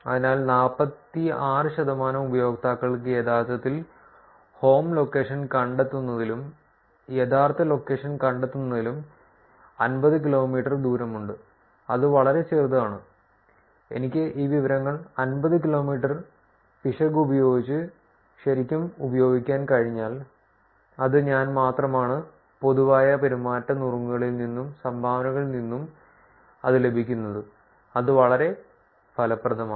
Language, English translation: Malayalam, So, 46 percent of the users are actually having the error between finding the home location and the actual location is about 50 kilometers, that is pretty small, if I were able to actually use this information with only 50 kilometers of error which is I just getting it from the general behavior tips and dones, that's quite effective